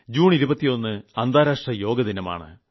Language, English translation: Malayalam, 21st June is the International Day for Yog